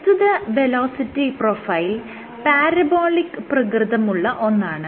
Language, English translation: Malayalam, So, this velocity profile is parabolic in nature